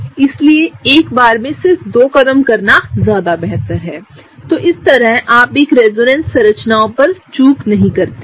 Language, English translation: Hindi, So, it is much better to just do two steps at a time and that way you don’t miss out on a resonance structure